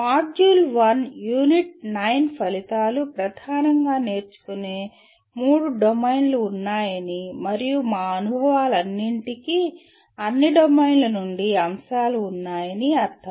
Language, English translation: Telugu, The Module 1 Unit 9 the outcomes are understand that there are mainly three domains of learning and all our experiences have elements from all domains